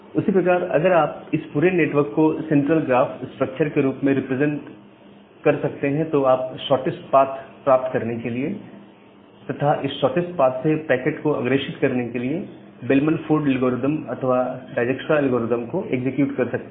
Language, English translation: Hindi, And that way if you can represent this entire network in the form of a central graph structure then you can execute the Bellman Ford algorithm or Dijkstra’s algorithm to find out the shortest path and then forward the packet through that shortest path